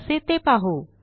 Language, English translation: Marathi, Well see how